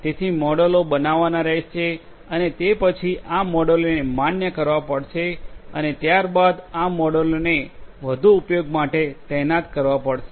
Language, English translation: Gujarati, So, models have to be created and then these models will have to be validated and thereafter these models will have to be deployed for further use